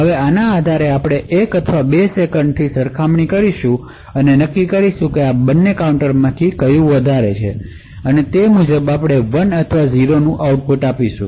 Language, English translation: Gujarati, Now based on this we would make a comparison after say 1 or 2 seconds and determine which of these 2 counters is higher and according to that we would give output of 1 or 0